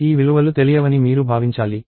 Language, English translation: Telugu, You should assume that, these values are unknown